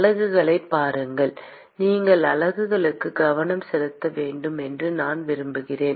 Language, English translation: Tamil, Look at the units I want you to pay attention to the units